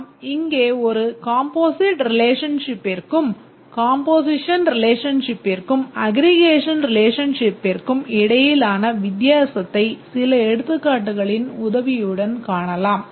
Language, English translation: Tamil, Let's just explain the difference between a composite relationship, a composition relation and an aggregation relation with help of some examples